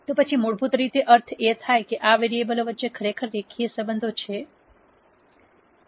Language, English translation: Gujarati, Then that basically automatically means that there are really linear relationships between these variables